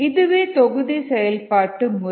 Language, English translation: Tamil, that is the batch mode of operation